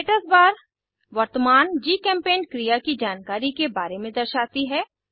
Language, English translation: Hindi, Statusbar displays information about current GChemPaint activity